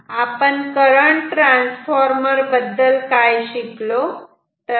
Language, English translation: Marathi, So, what do we, how do you use a current transformer